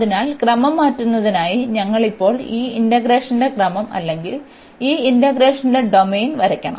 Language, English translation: Malayalam, So, for changing the order we have to now draw this order of integration or the domain of this integration here